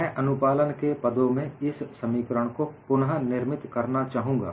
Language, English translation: Hindi, I would like to recast this expression in terms of compliance